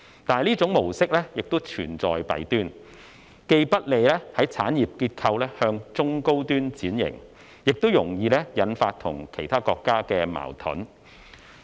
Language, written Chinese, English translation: Cantonese, 但是，這種模式亦存在弊端，既不利於產業結構向中高端轉型，也容易引發與其他國家的矛盾。, However there are also flaws in this pattern as it is not conducive to restructuring industries into medium - to - high - end industries and is prone to stir up conflicts with other countries